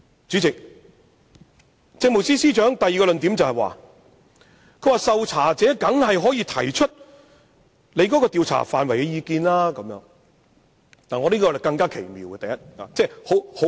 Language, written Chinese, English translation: Cantonese, 主席，政務司司長的第二個論點是，受查者當然可以提出對於調查範圍的意見，我認為這更奇妙。, President the Chief Secretarys second argument is that the subject of inquiry can certainly express his views on the scope of the inquiry . I find this argument even more perplexing